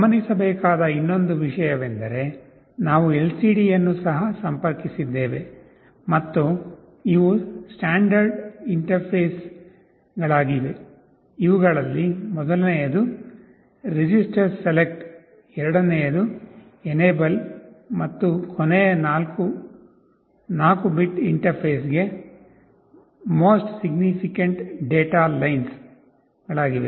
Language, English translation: Kannada, The other thing to note is that we have also interfaced an LCD and these are the standard interfaces, you recall the first of these is register select, second one is enable, and last 4 are the most significant data lines for 4 bit interface